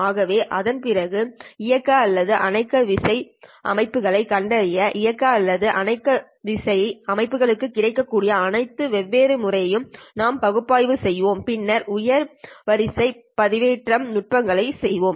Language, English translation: Tamil, So this will after that we will review all the different methods that are available for on off keying systems to detect the on off keying systems and then move on to the higher order modulation techniques